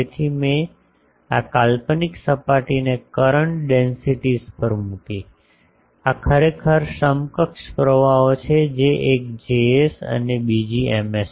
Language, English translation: Gujarati, So, I put on this imaginary surface to current densities, this is actually equivalent currents one is Js another is M s